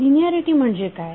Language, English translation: Marathi, So what is linearity